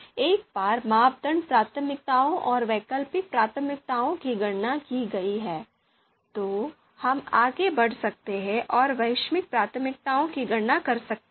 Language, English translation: Hindi, So once the priorities, you know criteria criterion criteria priorities and alternative priorities have been computed, then we can you know go ahead and compute global priorities